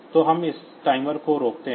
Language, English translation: Hindi, So, we stop this timer